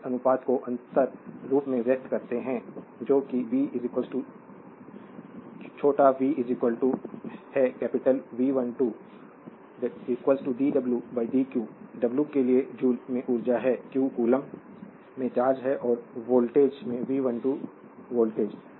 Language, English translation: Hindi, We express this ratio in differential form that is b is equal to small v is equal to capital V 12 suffix is equal to d w upon dq, for w is the energy in joules, q is the charge in coulombs and V 12 the voltage in volts